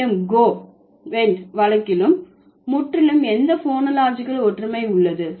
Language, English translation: Tamil, However, in case of go went, there is absolutely no phonological similarity